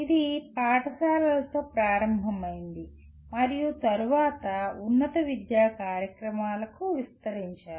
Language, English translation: Telugu, It started with schools and then got extended to higher education programs